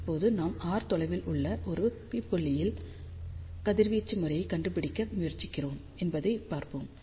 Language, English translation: Tamil, So, let us see now we are trying to find the radiation pattern at a point p which is at a distance r